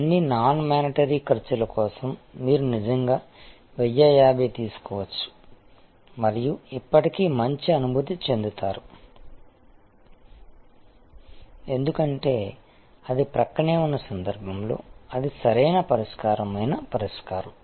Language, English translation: Telugu, For all these non monitory costs, you might actually take the 1050 and still feel good because that is in the context of where adjacency; that is the solution which was the optimum solution